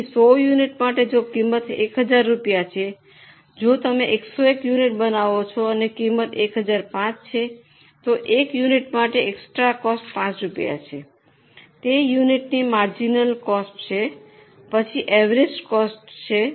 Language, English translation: Gujarati, So, for 100 units if cost is 1000 rupees, if you make 101 unit and the cost is 1,000 5, then for one unit the extra cost is 5 rupees, that is a marginal cost of one unit